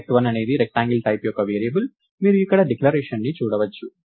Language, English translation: Telugu, So, rect1 is a variable of type rectangle, you can see the declaration here